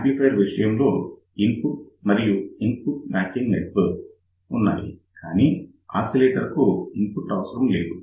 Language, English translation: Telugu, See in the case of amplifier there was an input and there was a input impedance matching network, but now for oscillator we do not need any input